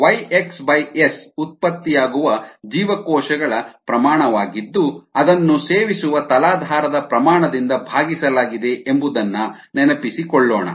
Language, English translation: Kannada, let us recall that y, x, s is the amount of cells produced divided by the amount of substrate consumed